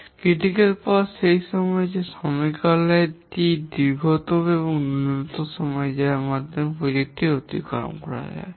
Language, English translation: Bengali, The critical path is the one where the duration is the longest and that is the minimum time by which the project can exceed